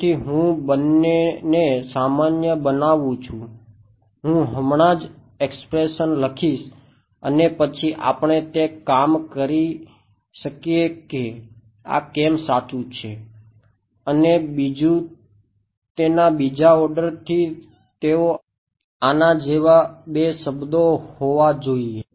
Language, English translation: Gujarati, So, I generalize these two I will just write the expression and then we can work it out later why this is correct one expression and another since its 2nd order they will have to be two terms like this